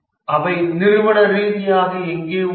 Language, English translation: Tamil, Where are the organizationally located